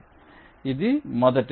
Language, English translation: Telugu, so this is the first one